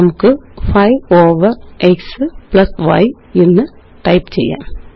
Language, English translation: Malayalam, We can type 5 over x + y